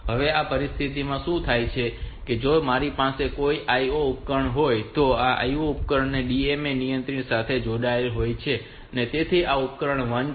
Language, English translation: Gujarati, Now in this situation what happens is that whenever this now if i have got some IO device so this IO devices are connected to the DMA controller, so these are the; this is a device 1 this is a device 2 like that